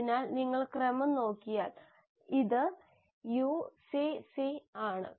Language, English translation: Malayalam, So if you look at the sequence this is UCC